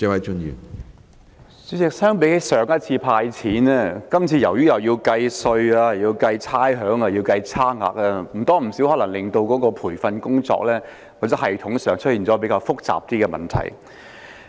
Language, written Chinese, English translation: Cantonese, 主席，與上次"派錢"比較，由於今次需要計算稅款，也要計算差餉及差額，必然會令培訓工作或系統方面出現較複雜的問題。, President compared with the previous cash handout the need to calculate tax and rates as well as the difference between concessions and disbursements in the present exercise will definitely give rise to complicated problems in respect of training or computer systems